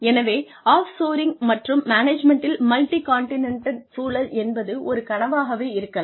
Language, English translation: Tamil, So, off shoring and management, in a multi continent environment, can be a nightmare